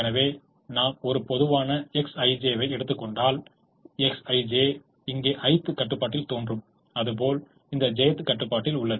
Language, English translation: Tamil, so if we take a typical x i j, that x i j will appear in the i'h constraint here and in the j't constraint in this